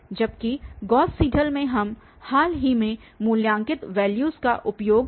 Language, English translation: Hindi, While in the Gauss Seidel we will use recently evaluated values as well